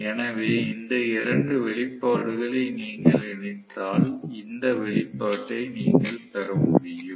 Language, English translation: Tamil, So, if you combine these 2 expressions I am sure you should be able to derive this expression